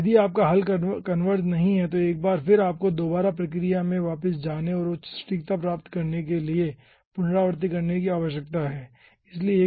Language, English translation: Hindi, if you are not converge, then once again you need to go back to the scheme and do the iteration to get higher accuracy